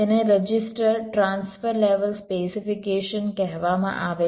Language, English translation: Gujarati, this is called register transfer level specification